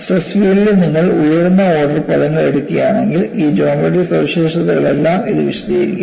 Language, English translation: Malayalam, If you take higher order terms in the stress field, which would explain, all these geometric features